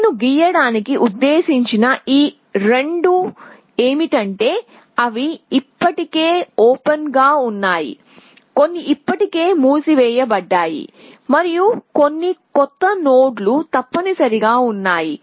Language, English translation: Telugu, So, these two I mean to draw is that they are already on open there are some which are already in closed and there is some which are new nodes essentially